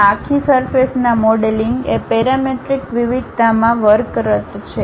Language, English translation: Gujarati, There is a way this entire surface modelling works in the parametric variation